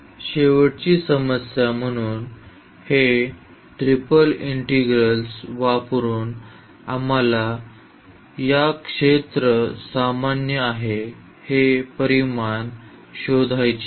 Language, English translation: Marathi, The last problem so, using this triple integral we want to find the volume which is common to this is sphere